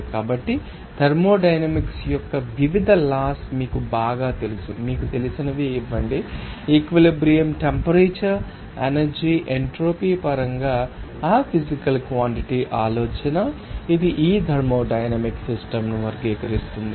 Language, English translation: Telugu, So, there are you know different laws of thermodynamics that well you know, give that you know, idea of that physical quantities in terms of equilibrium temperature energy entropy, which will characterize this thermodynamic system